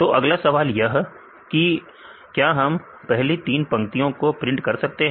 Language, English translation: Hindi, So, now the next question is; so whether we can print the first three lines